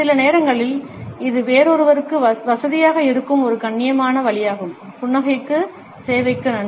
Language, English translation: Tamil, Sometimes, it is just a polite way to make someone else feel comfortable, thank service for the smile